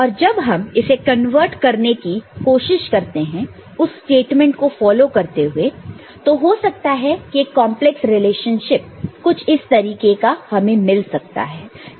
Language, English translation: Hindi, And when we try to convert it, just by following the statement a may be a complex relationship like this one may arrive at